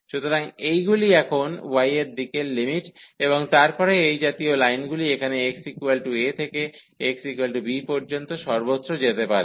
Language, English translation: Bengali, So, these are the limits now in the direction of y and then such lines they goes from here x is equal to a to and everywhere up to x is equal to b